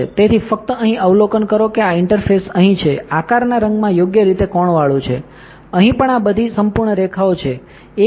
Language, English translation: Gujarati, So, just observe here that this interface is here is right angled in color as shape, here also these are all perfect lines, ok